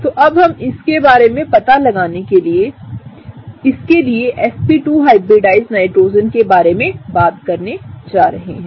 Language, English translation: Hindi, So, for that, gonna get rid of this part and we are going to talk about the sp2 hybridized Nitrogen